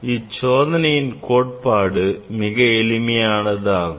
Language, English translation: Tamil, theory for this experiment is very simple